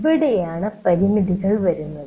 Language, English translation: Malayalam, And this is where the limitations come